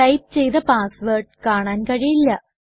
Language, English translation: Malayalam, The typed password on the terminal, is not visible